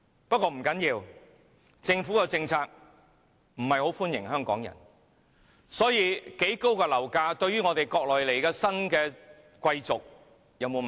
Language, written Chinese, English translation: Cantonese, 不過不要緊，政府的政策不是要歡迎香港人，所以無論樓價有多高，對於來自國內的新貴族也不成問題。, Anyway it does not matter because the Government does not aim to please Hong Kong people . You know no matter how high our property prices are the new elites from the Mainland will always have the means to buy them